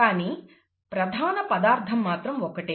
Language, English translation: Telugu, But, the basic material is the same